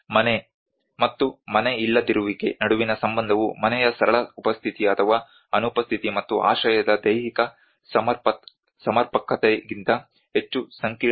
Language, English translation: Kannada, The relationship between home and homelessness is more complex than the simple presence or absence of home and the physical adequacy of the shelter